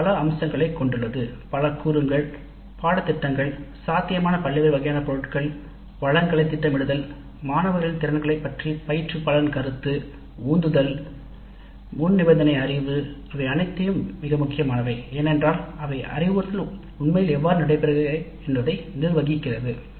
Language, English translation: Tamil, So, this has several aspects, several components, celibus with a variety of items which are possible, then planning for resources, then instructors perception of students with regard to their abilities, motivation, prerequisite knowledge, these are all very important because that has a bearing on how actually the instruction takes place